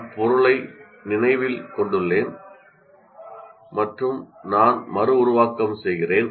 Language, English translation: Tamil, I remember the material and I reproduce